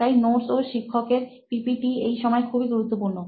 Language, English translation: Bengali, So that is why notes and teacher’s PPTs are very important this time